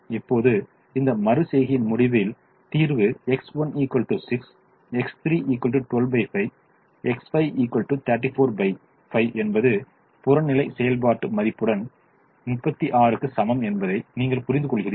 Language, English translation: Tamil, now, at the end of this iteration, you realize that the solution is x one equal to six, x three equal to twelve by five, x five equal to thirty four by five, with the objective function value equal to thirty six